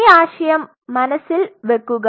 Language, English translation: Malayalam, So, keep that concept in mind